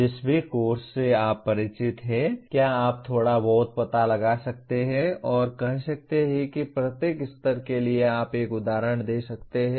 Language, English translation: Hindi, Whatever course you are familiar with can you explore a little bit and say for each one of the affective level can you give one example